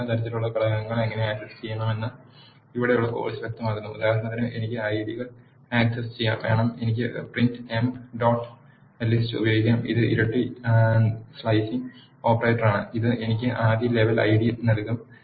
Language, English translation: Malayalam, The course here illustrates how to access the top level components; for example, I want access the IDs, I can use print emp dot list and this is a double slicing operator which will give me the first level which is ID